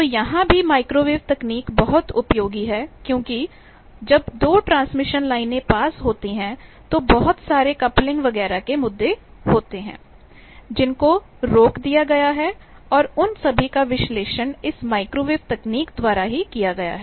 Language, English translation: Hindi, So, there also this microwave technology is useful because when two transmission lines are nearby there is lot of coupling issues, etcetera was stopped and all those are analysed by these technology of microwave